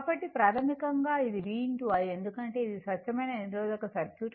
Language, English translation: Telugu, So, basically, it is a v into i because pure resistive circuit